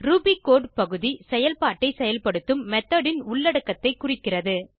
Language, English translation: Tamil, ruby code section represents the body of the method that performs the processing